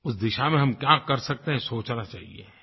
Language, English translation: Hindi, We should think about what more can be done in this direction